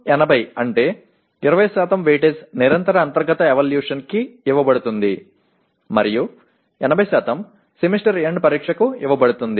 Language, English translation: Telugu, 20:80 means 20% weightage is given to Continuous Internal Evaluation and 80% to Semester End Examination